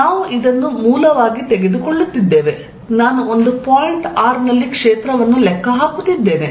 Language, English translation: Kannada, Let us see, what we are doing, we are taking this as the origin, I am calculating field at a point r